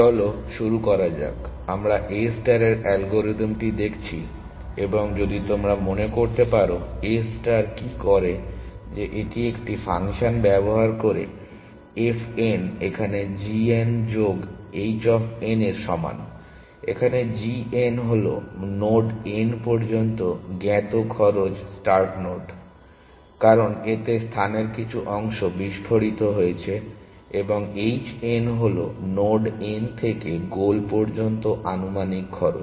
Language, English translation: Bengali, So let us begin, we are looking at the A star algorithm, and if you remember what A star does is that it uses a function f n is equal to g n plus h of n, where g n is the known cost up to node n from the start node, because it has explode part of the space and h n is the estimated cost from node n to the goal node essentially